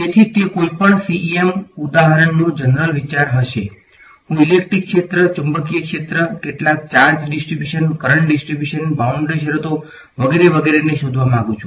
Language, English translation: Gujarati, So, that will be the general idea of any cem example right, I want to find out the electric field, magnetic field given some charge distribution, current distribution, boundary conditions blah blah right